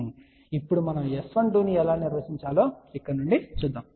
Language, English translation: Telugu, So, now, let us see from here how we define S 12